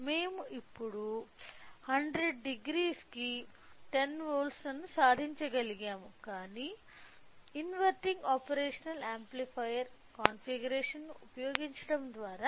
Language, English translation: Telugu, So, that we now we could able to achieve 10 volts for 100 degree, but this is by using inverting operational amplifier configuration